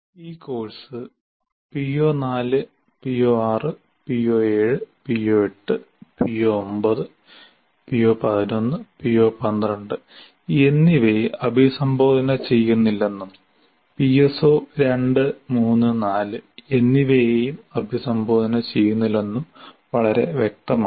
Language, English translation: Malayalam, And it is very clear this particular course is not addressing PO4, PO6, PO 7, PO 8, PO 9 and PO11 and PO 12 as well, and PS4 3 4 are also not addressed